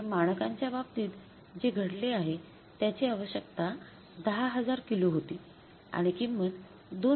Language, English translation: Marathi, So what has happened in case of the standard the requirement was 10,000 kages and the price was 2